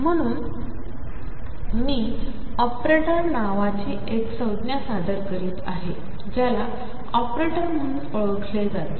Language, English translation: Marathi, So, I am introducing a term called operator these are known as operators